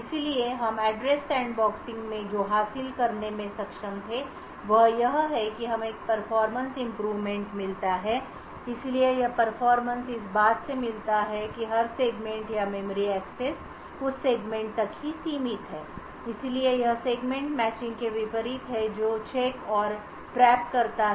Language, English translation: Hindi, So what we were able to achieve in Address Sandboxing is that we get a performance improvement so this performance is obtained by enforcing that every branch or memory access is restricted to that segment, so this is very much unlike the Segment Matching which checks and traps